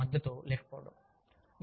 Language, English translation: Telugu, Lacking in management support